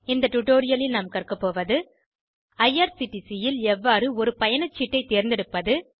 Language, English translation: Tamil, In this tutorial we will learn How to choose a ticket at irctc